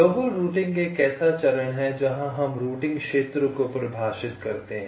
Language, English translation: Hindi, global routing is a step very define something called routing regions